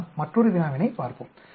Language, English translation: Tamil, Let us look at another problem